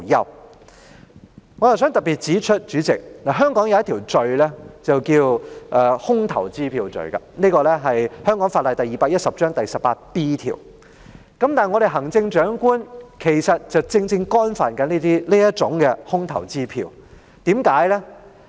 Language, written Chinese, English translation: Cantonese, 代理主席，我想特別指出，香港有一項罪行是空頭支票罪，即香港法例第210章第 18B 條，而行政長官其實正正干犯了這空頭支票罪。, Deputy President I wish to particularly point out that it is an offence to issue a dishonoured cheque in Hong Kong under section 18B of Cap . 210 of the Laws of Hong Kong . But the Chief Executive has exactly committed this offence